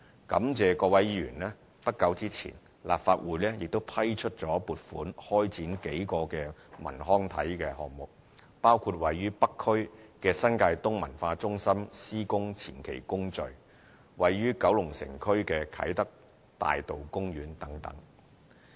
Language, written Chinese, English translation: Cantonese, 感謝各位議員，不久前立法會亦批出撥款開展數個文康體項目，包括位於北區的新界東文化中心的施工前期工序、位於九龍城區的啟德大道公園等。, I am also grateful to honourable Members for the Legislative Council has recently approved the funding for launching several cultural recreational and sports projects including the pre - construction works for the New Territories East Cultural Centre in Northern District and the construction of the Avenue Park at Kai Tak Kowloon City District among others